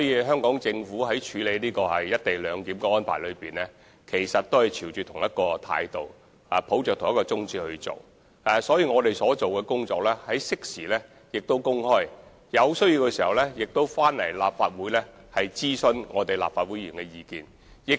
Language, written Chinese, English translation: Cantonese, 香港政府在處理"一地兩檢"安排時，亦是以同一態度及宗旨行事，適時把我們所做的工作公開，並在有需要時徵詢立法會議員的意見。, The Hong Kong Government has been handling the issue of co - location clearance with the same attitude and objective disclosing what we have done at appropriate times and consulting Legislative Council Members whenever necessary